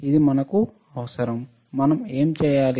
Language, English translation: Telugu, This is what we need, what we will do